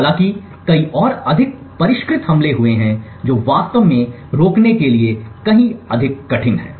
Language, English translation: Hindi, However there have been many more, more sophisticated attacks which are far more difficult to actually prevent